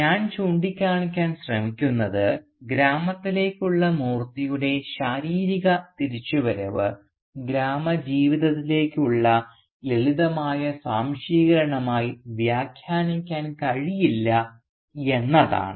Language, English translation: Malayalam, What I am trying to point out is that Moorthy’s physical return to the village cannot be interpreted as a simplistic assimilation into the village life